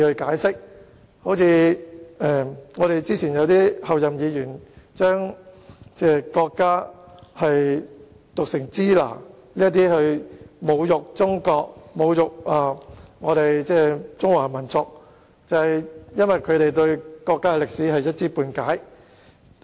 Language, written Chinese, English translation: Cantonese, 早前兩位前候任議員將中國的英文讀成"支那"，藉此侮辱中國和中華民族，就是因為他們對國家歷史一知半解。, Earlier two former Members - elect pronounced China as Shina to insult China and the Chinese nation . They did so because they had only a patchy knowledge of our countrys history